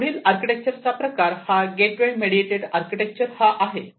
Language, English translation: Marathi, The next type of architecture is the gateway mediated edge architecture